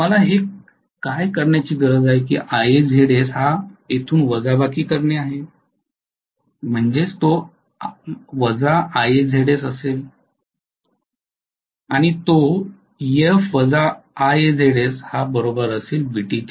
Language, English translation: Marathi, What I need to do is to subtract this Ia Zs from here, this is minus Ia Zs, Ef minus Ia Zs will give me what is my Vt